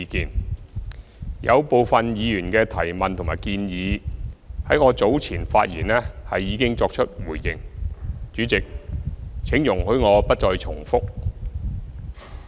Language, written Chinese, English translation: Cantonese, 對於部分議員的提問和建議，我在早前發言時已作出回應，主席，請容許我不再重複。, Regarding some of the questions and suggestions put forward by Members I have already made my reply in my speech earlier . President please allow me not to repeat them